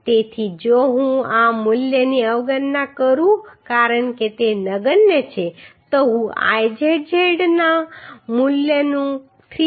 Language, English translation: Gujarati, So if I neglect this value as it is negligible then I can find out the value of Izz as 346